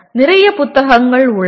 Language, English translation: Tamil, There are lots of books